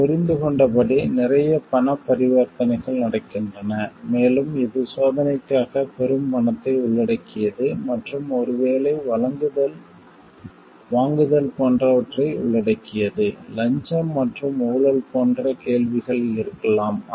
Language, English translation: Tamil, As we understand there is a lot of money transactions happening and, it involves a huge money for testing and maybe procuring etcetera, there could be questions of like bribery and corruption